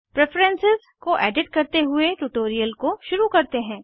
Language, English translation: Hindi, Lets begin the tutorial by editing Preferences